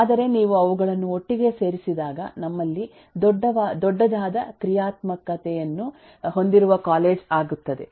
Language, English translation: Kannada, but when you put to them together then we have a college which has a bigger functionality